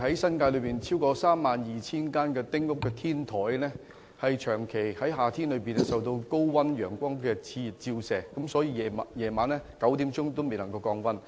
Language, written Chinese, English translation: Cantonese, 新界現時有超過32000間丁屋的天台，在夏天長期受高溫熾熱的陽光照射，到了晚上9時仍然未能降溫。, At present the rooftops of more than 32 000 small houses in the New Territories are persistently heated by the scorching sun in summer and the temperature is still high even at 9col00 pm